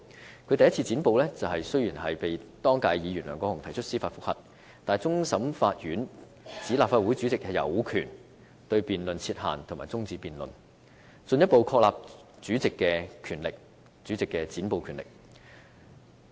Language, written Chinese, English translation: Cantonese, 雖然他第一次"剪布"，被當屆議員梁國雄議員提出司法覆核，但終審法院裁定立法會主席有權對辯論設限和終止辯論，進一步確立主席的"剪布"權力。, In response to the cloture then Member Mr LEUNG Kwok - hung filed a judicial review but the Court of Final Appeal ruled that the President had the power to impose restrictions on and put an end to debates . The court ruling further establishes the power of the President to cut off filibusters